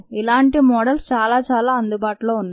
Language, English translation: Telugu, and many other models are available